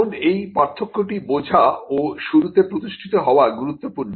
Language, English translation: Bengali, Now, this is a distinction that is important to be understood and to be established at the outset